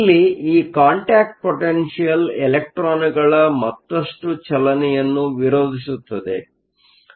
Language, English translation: Kannada, And this contact potential opposes further motion of electrons